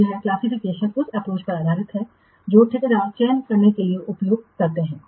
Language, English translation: Hindi, So this classification is based on the approach that is used for a contractor selection